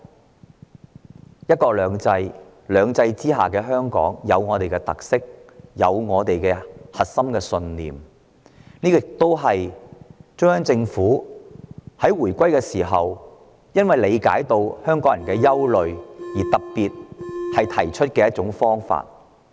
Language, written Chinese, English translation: Cantonese, 在"一國兩制"的"兩制"之下，香港有本身的特色和核心信念，這亦是中央政府在香港回歸前因理解港人憂慮而特別提出的方法。, Under the two systems of one country two systems Hong Kong has its own characteristics and core values and it was actually specially designed by the Central Government before the handover in view of the worries of Hong Kong people